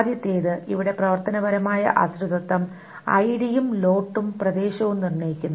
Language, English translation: Malayalam, The first here, the functional dependencies ID determines lot area and area determines district